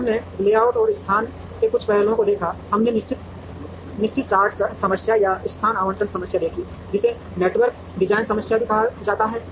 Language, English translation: Hindi, Then we saw some aspects of layout and location, we saw the fixed charge problem or location allocation problem, which is also called the network design problem